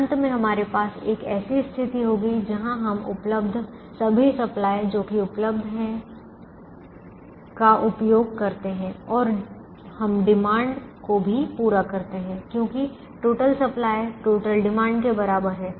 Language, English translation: Hindi, when total supply is equal to the total demand, finally, we will have a situation where we use up all the supplies that are available and we also meet the demands exactly because total supply is equal to the total demand